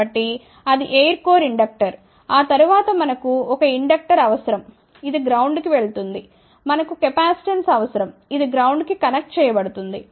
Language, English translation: Telugu, So, that is the air core inductor, then after that we need an inductor, which is going to ground, we need a capacitance which is going to ground